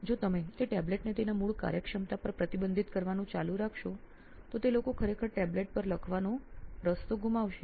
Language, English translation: Gujarati, If you keep on restricting that tablet to its core functionality what it is meant to be so people will actually lose out that essence of writing on the tablet